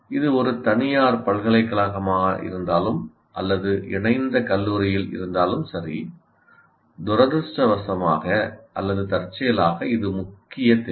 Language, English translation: Tamil, Whether it is a private university or in an affiliated college, you still have this unfortunately or incidentally is a major requirement